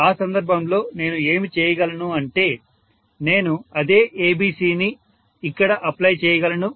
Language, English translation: Telugu, In which case what I can do is, I can apply the same ABC here